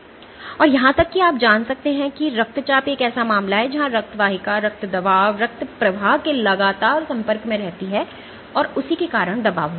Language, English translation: Hindi, Or even you can have you know blood pressure is one case where the blood vasculature is continuously exposed to blood pressure, blood flow and because of that there is a pressure ok